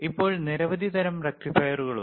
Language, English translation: Malayalam, Now, there are several types of rectifiers again